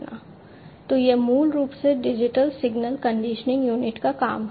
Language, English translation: Hindi, So, this is basically the work of the digital signal conditioning unit